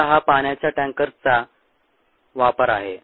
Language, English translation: Marathi, this is the ah use of water tankers